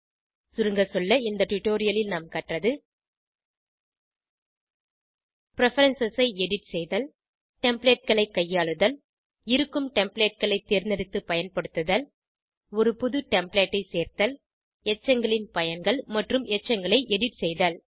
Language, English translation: Tamil, Lets summarise In this tutorial, we have learnt to * Edit Preferences * Manage Templates * Select and use ready Templates * Add a New Template * Uses of Residues and To edit Residues